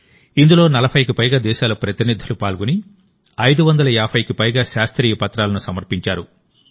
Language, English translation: Telugu, Delegates from more than 40 countries participated in it and more than 550 Scientific Papers were presented here